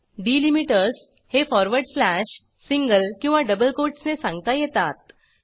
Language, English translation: Marathi, Delimiters can be specified in forward slash, single or double quotes